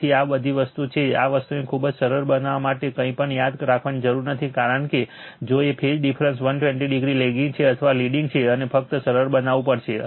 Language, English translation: Gujarati, So, this all the thing is that you have to remember nothing to be this thing very simple it is right because, if phase difference is that 120 degree lagging or leading right and just you have to simplify